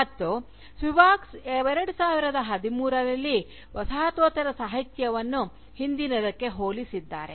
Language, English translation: Kannada, And, Spivak, in 2013 for instance, has relegated Postcolonialism, to the past